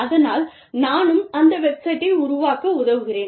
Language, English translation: Tamil, And so, I am helping, develop that website